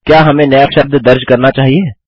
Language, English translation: Hindi, Shall we enter a new word